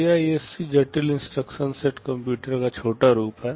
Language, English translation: Hindi, CISC is the short form for Complex Instruction Set Computer